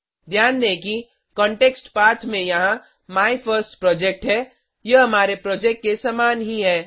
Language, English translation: Hindi, Note that Context Path here is MyFirstProject, this is the same name as our Project